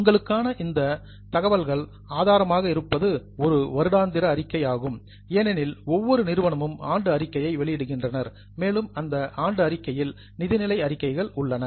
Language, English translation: Tamil, The best source of information for you is a annual report because every company comes out with a annual report and that annual report has financial statements